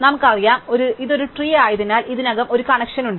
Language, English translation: Malayalam, So, we know that because it is a tree, there is already connection